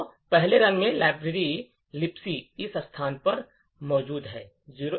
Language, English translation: Hindi, So, in the first run the Libc library is present at this location 0xb75d000